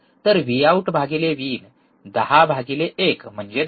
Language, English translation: Marathi, So, what is V out by V in, 10 by 1, that is 10, that is 10